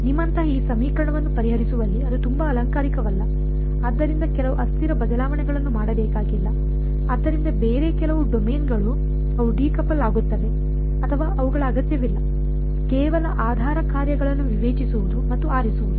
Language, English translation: Kannada, That is nothing very fancy involved in solving these equation like you do not have do some changes of variables, so some other domain where they become decoupled or at all that is not needed; just discretizing and choosing basis functions